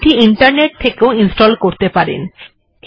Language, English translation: Bengali, You can install it from the internet